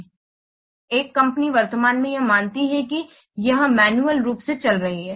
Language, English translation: Hindi, So a company currently it is supposed it is running it manually